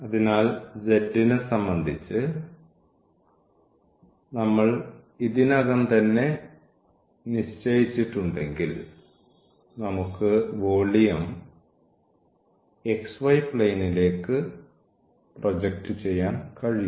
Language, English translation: Malayalam, So, if we have fixed already with respect to z then we can project the geometry, the volume to the xy plane